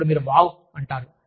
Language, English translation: Telugu, Then, you say, wow